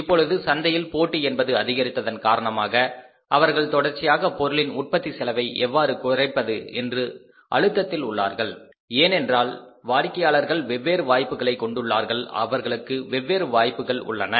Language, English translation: Tamil, Now since the competition has increased in the market, so continuously they are under pressure how to reduce the cost of production because people have got the choice, customers have got the choice